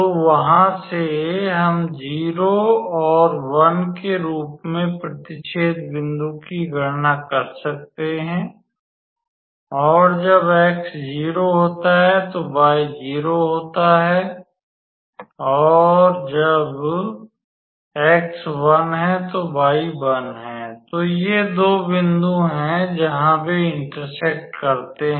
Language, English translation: Hindi, So, from there we can be able to calculate the point of intersection as 0 and 1 and when x is 0, then y is 0 and when x is 1, then y is 1